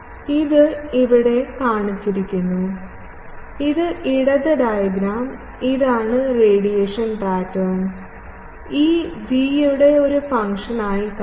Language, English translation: Malayalam, It has been shown here in the, this left diagram you will see that this is the radiation pattern E theta as a function of v